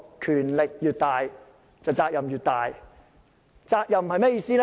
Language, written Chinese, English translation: Cantonese, 權力越大，責任越大，責任是甚麼意思？, The greater the power the greater the responsibility . What do I mean by responsibility?